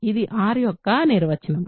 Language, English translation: Telugu, This is the definition of R